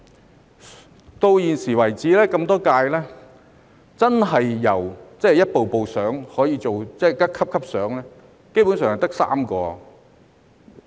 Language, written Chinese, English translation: Cantonese, 直到現時為止那麼多屆，真的可以逐級升遷的，基本上只有3人。, So far throughout so many terms of office only three people have managed to move up through the ranks